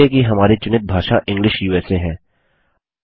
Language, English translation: Hindi, Check that English USA is our language choice